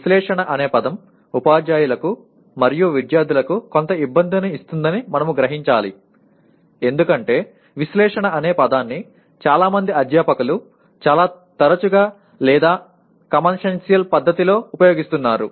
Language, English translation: Telugu, And we also realized the word Analyze is going to provide rather give some difficulty to the teachers as well as the students because the word Analyze is used in a very loose or commonsensical way by majority of the faculty